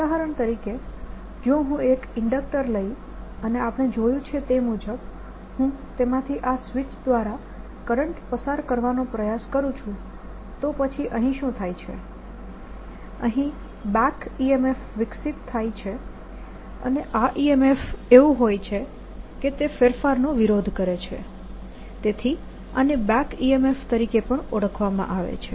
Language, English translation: Gujarati, for example, if i take an inductor and we have seen, if i now try to establish the current through it, maybe through a switch, then what happens is there's a back e m f or e m f developed in the inductor, and this e m f is such that it opposes change, that is establishing it, and this is also therefore known as back e m f